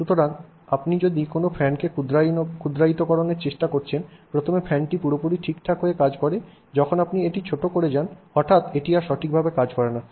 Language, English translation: Bengali, So, if you are trying to miniaturize a fan, the fan works perfectly fine when it is large, you miniaturize it, suddenly it no longer works properly, right